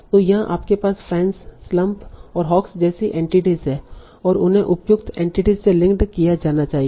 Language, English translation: Hindi, So here you have entities like fans, slump and hawks and they need to be linked to appropriate entities